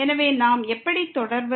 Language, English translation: Tamil, So, how do we proceed